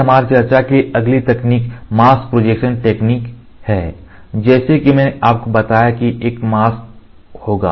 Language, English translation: Hindi, So, next technique for our discussion is mask projection technique, as I told you there will be a mask